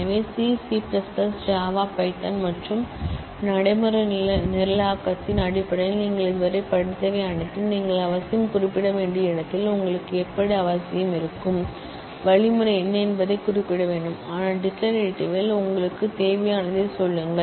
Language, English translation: Tamil, So, all that you have studied so far in terms of C C++, java python and all that are procedural programming, where you necessarily have to specify, how you will have necessarily; have to specify what the algorithm is, but in declarative you just say what you need